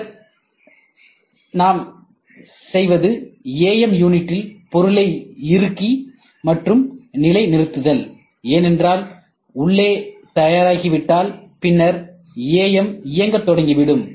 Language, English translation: Tamil, Then what we do is we clamp and a position in AM unit, because the inside is getting ready, and then AM started doing